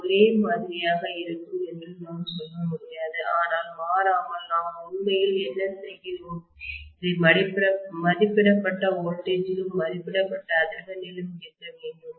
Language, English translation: Tamil, I can’t say it will be the same, but invariably what we are actually doing is to operate this at the rated voltage and at rated frequency